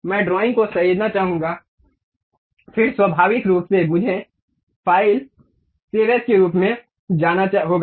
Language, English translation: Hindi, I would like to save the drawing, then naturally I have to go file save as